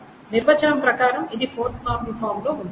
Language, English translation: Telugu, The question is whether this is in 4NF or not